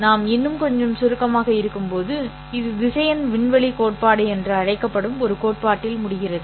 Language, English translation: Tamil, But we can choose to be little more abstract and when we be little more abstract we end up into a theory called as vector space theory